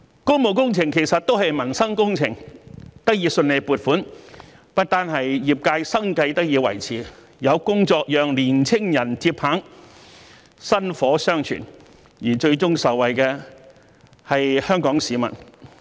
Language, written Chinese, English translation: Cantonese, 工務工程其實都是民生工程，得以順利獲得撥款，不單令業界生計得以維持，亦有工作讓年青人接棒，薪火相傳，而最終受惠的是香港市民。, Public works projects are basically livelihood projects . The smooth approval of those funding applications has not only helped the related industries sustain their businesses but also created jobs which would facilitate skill transfer to young people . Eventually all Hong Kong people will benefit